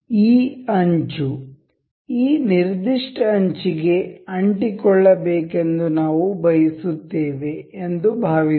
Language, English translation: Kannada, Suppose we want to we want this edge to stick on this particular edge